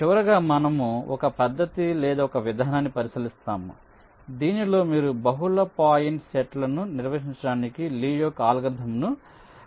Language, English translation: Telugu, lastly, we consider ah method run approach, in which you can extend lees algorithm to handle multi point nets